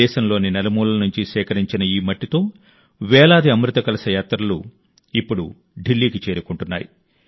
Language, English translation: Telugu, This soil collected from every corner of the country, these thousands of Amrit Kalash Yatras are now reaching Delhi